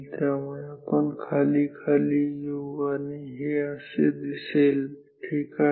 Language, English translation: Marathi, So, we will come down and this will look like this ok